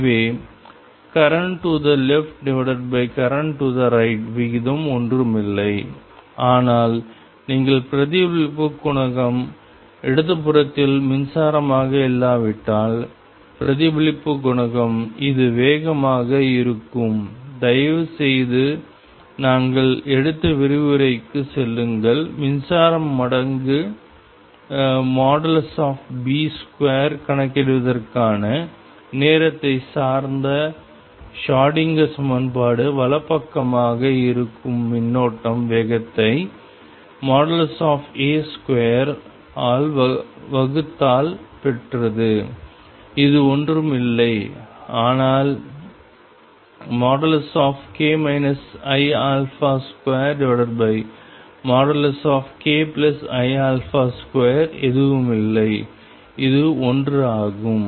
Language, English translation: Tamil, So, the ratio of current to the left divided by current to the right is going to be nothing, but the reflection coefficient unless you would the reflection coefficient is current to the left is going to be the speed this you please go back to the lecture where we took time dependent Schrodinger equation to calculate the current times mod B square current to the right is going to be speed divided by mod A square and this is going to be nothing, but mod of k minus i alpha square over mod of k plus i alpha square which is nothing, but 1